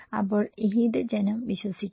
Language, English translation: Malayalam, So, which one people will believe